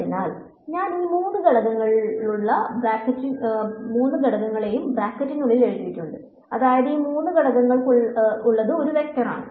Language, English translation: Malayalam, So, I have written it in brackets with three component; that means, that it is a vector with three components